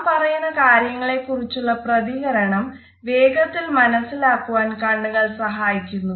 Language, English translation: Malayalam, Eyes also help us to get the immediate feedback on the basis of whatever we are saying